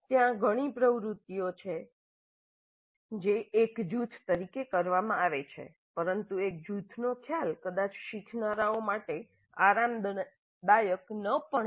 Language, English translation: Gujarati, There are several activities which are done as a group but the concept of a group itself may be not that comfortable for the learners